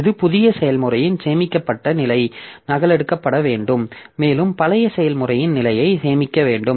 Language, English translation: Tamil, So, this is the saved state of the new process has to be copied and we must save the state of the old process